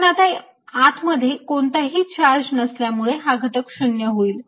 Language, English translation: Marathi, but since there's no charge inside, this fellow is zero